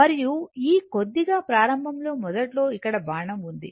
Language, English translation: Telugu, And throughout this little bit initially I have made an arrow here